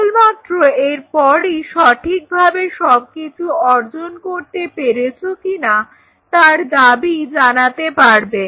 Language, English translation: Bengali, Then only you will be able to make a claim of whether you have achieved it or not